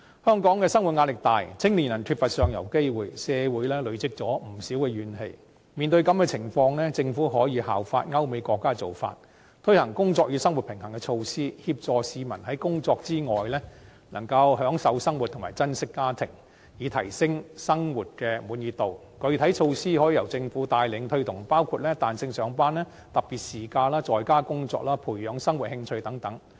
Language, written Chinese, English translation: Cantonese, 香港生活壓力大，青年人缺乏上游機會，社會累積不少怨氣，面對這種情況，政府可以效法歐美國家的做法，推行"工作與生活平衡"措施，協助市民在工作之外，能夠享受生活及珍惜家庭，以提升生活的滿意度，具體措施可以由政府帶領推動，包括：彈性上班、特別事假、在家工作、培養生活興趣等。, Given the immense livelihood pressure in Hong Kong and the lack of upward mobility opportunities for young people considerable grievances have been accumulated in society . In the face of such a situation the Government can follow the practices of European countries and America in implementing work - life balance measures to help people enjoy life and cherish their families in addition to working so as to enhance their satisfaction with life . The implementation of specific measures may be led by the Government including flexible working hours special casual leave work from home and cultivation of hobbies